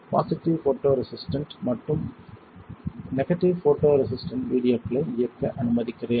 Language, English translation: Tamil, we will see positive photo resistant and negative photo resistant let me play the videos